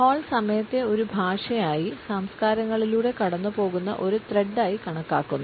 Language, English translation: Malayalam, Hall has treated time as a language, as a thread which runs through cultures